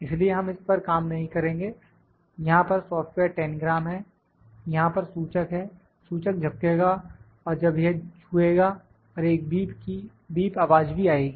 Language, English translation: Hindi, So, we will not work on this, the software here is Tangram, have the indicator here, indicator would blink and when this will touch and also a beep voice would come